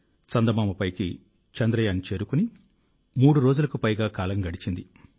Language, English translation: Telugu, It has been more than three days that Chandrayaan has reached the moon